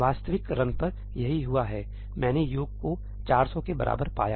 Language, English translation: Hindi, This is what happened on an actual run; I found sum to be equal to 400